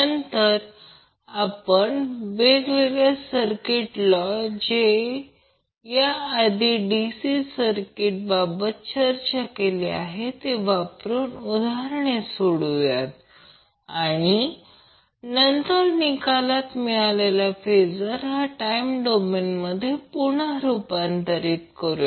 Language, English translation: Marathi, Then we will solve the problem using a various circuit theorems which we discussed previously in case of DC circuits and then transform the resulting phasor to the time domain back